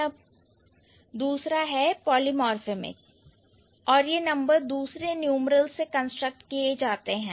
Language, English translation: Hindi, Polymorphamic and they are constructed by other numerals